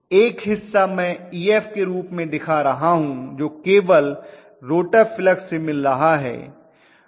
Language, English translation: Hindi, One portion I am showing as Ef which is confining itself only to the rotor flux